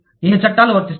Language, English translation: Telugu, Which laws will apply